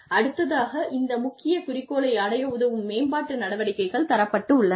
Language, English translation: Tamil, And, there are development actions, that can help achieve, this main objective